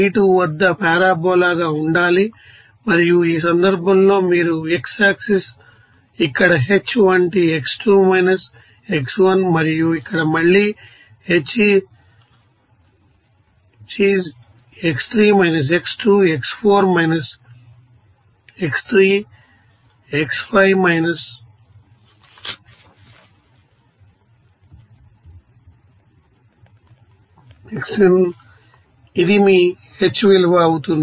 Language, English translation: Telugu, 32 and in this case, you will see that, if we you know, divide these x axis into equal intervals, like this like h here x2 x1, and here again, h is x3 x2, x4 x3, x5 x4, this will be your h value